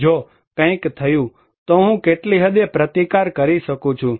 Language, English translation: Gujarati, If something happened, I can resist what extent